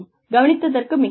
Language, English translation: Tamil, Thank you very much for listening